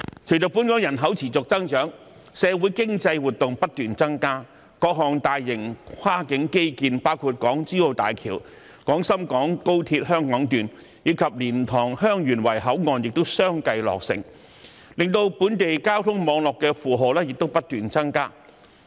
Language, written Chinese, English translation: Cantonese, 隨着本港人口持續增長，社會經濟活動不斷增加，各項大型跨境基建，包括港珠澳大橋、廣深港高鐵香港段，以及蓮塘/香園圍口岸亦相繼落成，令本地交通網絡負荷不斷增加。, As the population of Hong Kong grows continuously social and economic activities keep increasing . Various large - scale cross - border infrastructure projects including the Hong Kong - Zhuhai - Macao Bridge the Hong Kong section of the Guangzhou - Shenzhen - Hong Kong Express Rail Link and the LiantangHeung Yuen Wai Boundary Control Point have been completed which has increased the load on the local transport network